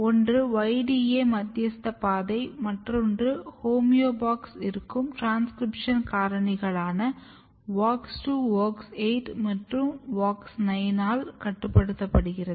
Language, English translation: Tamil, One path way which is mediated by YDA which is called YDA and another process is basically regulated by homeobox containing transcription factor WOX2, WOX8 and WOX9